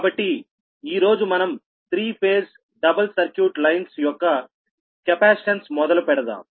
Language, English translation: Telugu, so today we will start that capacitance of three phase, the double circuit lines, right